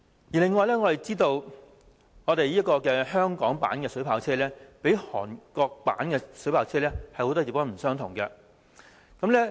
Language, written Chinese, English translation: Cantonese, 此外，我們知道香港所用的水炮車，較韓國所用的有很多不同之處。, Moreover we know that there are marked differences between the water cannot vehicles used in Hong Kong and in Korea